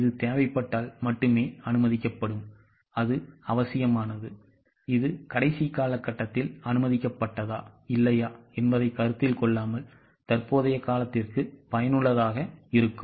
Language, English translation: Tamil, It will be sanctioned if and only if it is required, it is necessary, it is useful for the current period without considering whether it was sanctioned in the last period or no